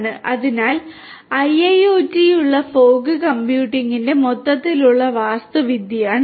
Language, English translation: Malayalam, So, this is this overall architecture of fog computing for IIoT